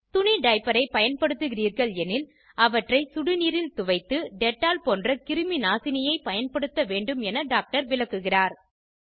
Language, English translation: Tamil, The doctor further explains that if you using cloth diapers, wash them in hot water with a disinfectant like dettol